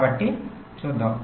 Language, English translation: Telugu, ok, so lets see